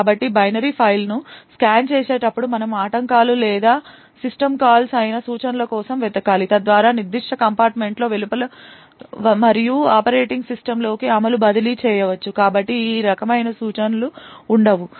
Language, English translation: Telugu, So while scanning the binary file we need to look out for instructions which are interrupts or system calls so which could transfer execution outside that particular compartment and into the operating system, so these kinds of instructions are not present